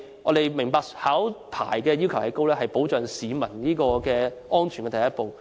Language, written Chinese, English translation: Cantonese, 我們明白考牌要求高，是保障市民安全的第一步。, I understand the high threshold of a licence is the first step to protect drinking water safety for the people